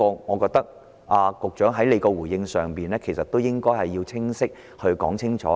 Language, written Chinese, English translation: Cantonese, 我覺得局長在回應這一點時要清晰地加以闡述。, I think the Secretary has to give a clear illustration when responding to this point